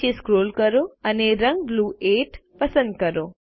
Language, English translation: Gujarati, Lets scroll down and select the color Blue 8